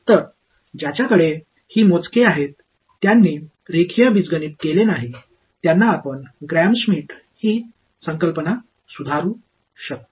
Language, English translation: Marathi, So, those who have few who have not done linear algebra you can revise this concept of Gram Schmidt